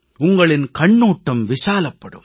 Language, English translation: Tamil, Your vision will expand